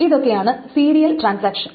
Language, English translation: Malayalam, So there are this serial transactions